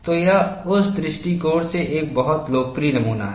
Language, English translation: Hindi, So, it is a very popular specimen from that perspective